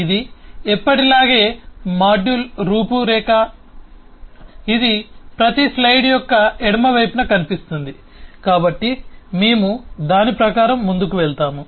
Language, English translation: Telugu, as usual, this will be visible on the left hand side of every slide, so we will proceed according to that